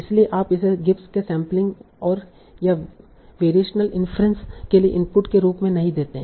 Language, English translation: Hindi, So you do not give it as an input for gibbed sampling and or variation inference